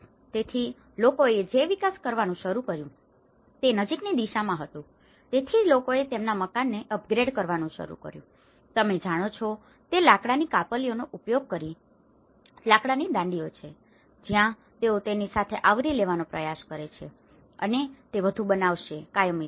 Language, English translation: Gujarati, So, what people started developing was thereby towards the near, so people started developing to upgrade their house, using the timber off cuts you know what you can see is the timber shingles, where shingles they try to cover with that and make more of a permanent look